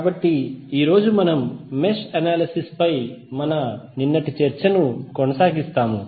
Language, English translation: Telugu, So, today we will continue our yesterday’s discussion on Mesh Analysis